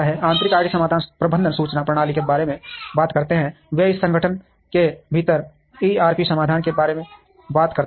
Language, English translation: Hindi, Internal IT solutions talk about management information systems, they talk about ERP solutions within an organization